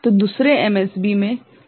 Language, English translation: Hindi, So, second MSB, there is a problem